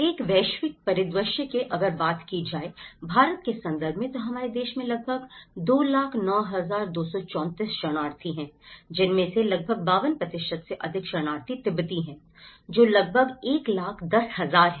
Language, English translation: Hindi, Coming to this is a global scenario and in India, we have about nearly 209234 people of the concern out of which we have about 52% more than half of the refugees in India are Tibetans which is about 1,10,000, I am sorry this is 209234